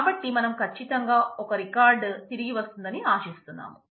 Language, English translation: Telugu, So, certainly we expect one record to come back